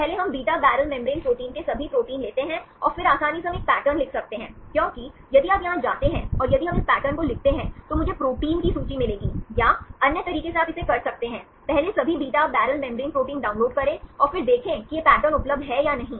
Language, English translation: Hindi, So, first we take all proteins of beta barrel membrane proteins, and then easily we can write a pattern because if you go here and if we write this pattern then I will get the list of proteins, or other way you can do it, first download all the beta barrel membrane proteins and then see whether this pattern is available or not